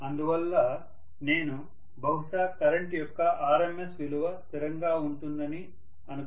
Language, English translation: Telugu, So I am looking at maybe The RMS value of the current is a constant